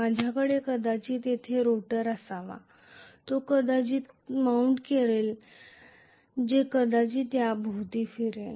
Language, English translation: Marathi, Now I may have a rotor probably which I mount it here in such a way that it will rotate probably around this